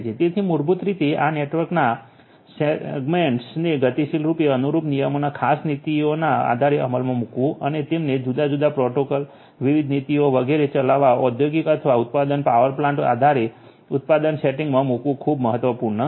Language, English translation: Gujarati, So, basically implementing segmenting this network dynamically based on certain rules, based on certain policies and having them run different different protocols, different different policies etcetera is very important in a industrial or manufacturing power plant manufacturing setting